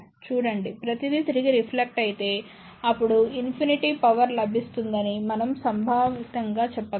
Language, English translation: Telugu, See, if everything is reflected back; then, we can conceptually say well infinite power is available